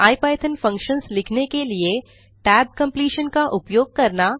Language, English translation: Hindi, use tab completion for writing ipython functions